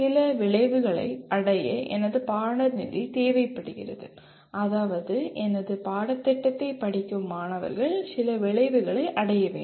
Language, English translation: Tamil, My course is required to attain certain outcomes, that is students who are crediting my course are required to attain certain outcomes